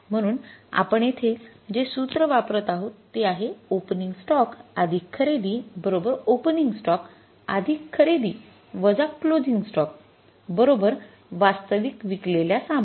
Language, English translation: Marathi, So, we will use the formula like opening stock plus purchases is equal to the opening stock plus purchases minus closing stock is equal to the cost of goods sold